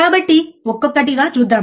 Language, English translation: Telugu, So, let us see one by one, alright